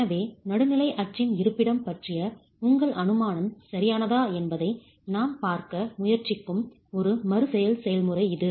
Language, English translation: Tamil, So it's an iterative procedure where you're trying to see if your assumption of the location of the neutral axis is correct